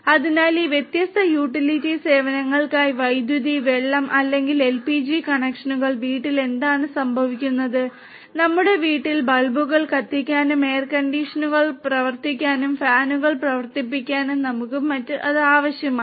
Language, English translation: Malayalam, So, for all these different utility services electricity, water or LPG connections at home what happens is that we need you know we have the necessity to light our bulbs at home, to run our air conditioners, to run our fans and so on